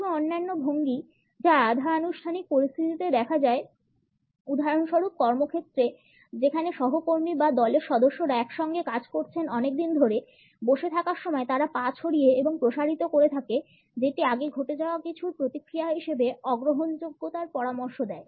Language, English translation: Bengali, Certain other postures which are seen in the semi formal situations; for example in the workplace where the colleagues or team members have been working for a very long time together; they spread and stretched out legs while sitting suggest the non acceptance as a response to something which is happened earlier